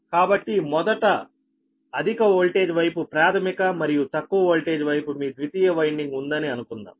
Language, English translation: Telugu, so first, ah, let us assume high voltage side is primary and low voltage side is ah, your secondary windings